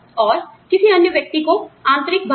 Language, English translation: Hindi, And, the interiors to another person